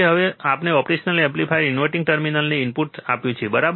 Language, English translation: Gujarati, So now, he has given the input to the inverting terminal of the operational amplifier, right